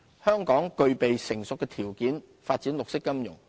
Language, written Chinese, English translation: Cantonese, 香港具備成熟的條件發展綠色金融。, Hong Kong possesses the right conditions for developing green finance